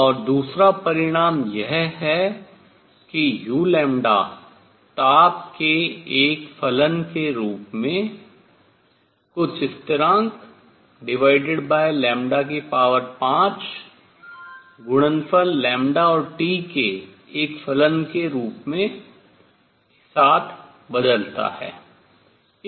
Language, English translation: Hindi, And a second result is that u lambda as a function of temperature varies as some constant divided by lambda raise to 5 times a function of the product lambda and T